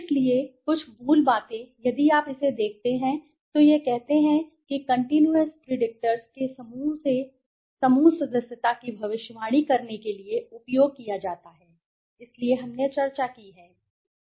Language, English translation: Hindi, So, some the basics if you look at you know as it says used to predict group membership from a set of continuous predictors right that is so we have discussed